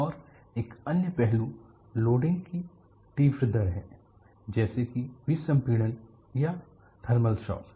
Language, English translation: Hindi, And another aspect isthe rapid rate of loading such as decompression or thermal shock